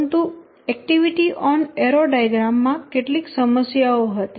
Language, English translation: Gujarati, But the activity on arrow diagram has some issues